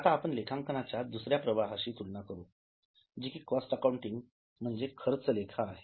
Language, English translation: Marathi, Now let us compare with second stream of accounting that is cost accounting